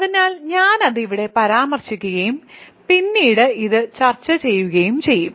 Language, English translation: Malayalam, So, I will remark that here and we will discuss this later